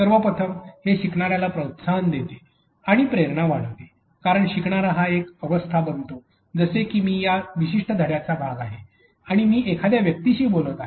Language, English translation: Marathi, First of all it promotes and increases the learner motivation because the learner becomes phase like I belong to this particular lesson and I am talking to a person